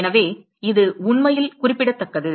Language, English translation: Tamil, So, it is really remarkable